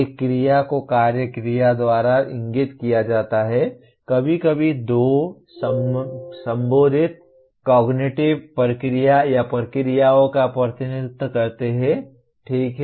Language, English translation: Hindi, An action is indicated by an action verb, occasionally two, representing the concerned cognitive process or processes, okay